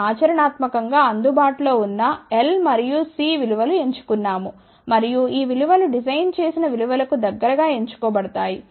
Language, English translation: Telugu, We have actually chosen L and C values which are practically available and these values are chosen close to what were the designed values